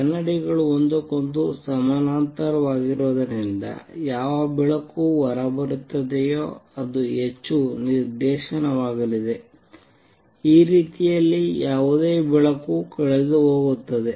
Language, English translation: Kannada, Since the mirrors are parallel to each other whatever light comes out is going to be highly directional, any light that goes like this is going to be lost